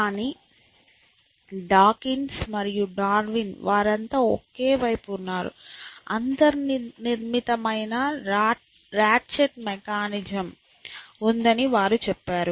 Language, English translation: Telugu, But Dawkins and Darwin, they are all on the same side, they say that there is a built in ratchet mechanism